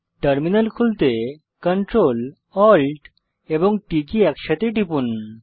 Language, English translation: Bengali, Press CTRL+ALT+T simultaneously to open the terminal